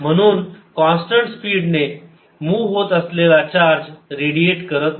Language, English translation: Marathi, thus, charged moving with constant speed does not reradiate